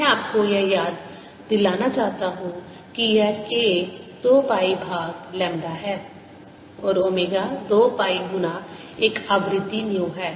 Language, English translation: Hindi, i want to remind you that this k is two pi over lambda and omega is two pi times a frequency nu